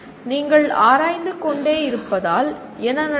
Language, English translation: Tamil, So what happens as you keep exploring